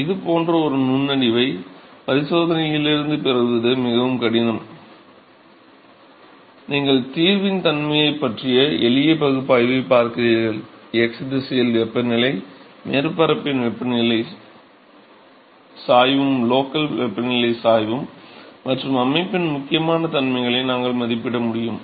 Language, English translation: Tamil, So, such kind of an insight is very difficult to get from experiment guys you looking at simple analysis of the nature of the solution, we are able to estimate an important property of the system that the temperature, local temperature gradient in the x direction is same as the temperature gradient of the surface alright